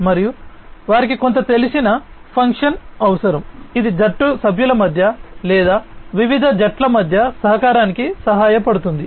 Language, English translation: Telugu, And they require some familiar function, which help in the collaboration between the team members or across different teams